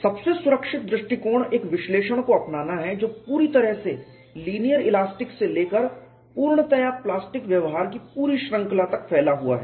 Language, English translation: Hindi, The safest approach is to adopt an analysis that spans the entire range from linear elastic to fully plastic behavior